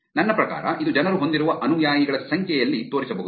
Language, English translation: Kannada, I mean it could show up on the number of followers that people have